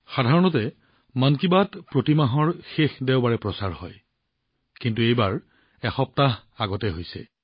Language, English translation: Assamese, Usually 'Mann Ki Baat' comes your way on the last Sunday of every month, but this time it is being held a week earlier